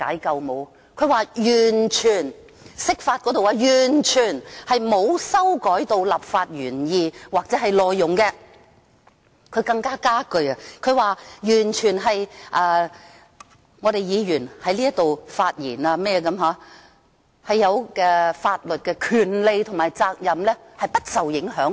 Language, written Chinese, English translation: Cantonese, 他說釋法完全沒有修改立法原意或內容，更加了一句說議員在立法會發言的法律權利及責任完全不受影響。, He said that the interpretation of the Basic Law has not in the least made any changes to the legislative intent or provisions and he even added that the lawful rights and duties of Members in speaking in the Legislative Council are completely unaffected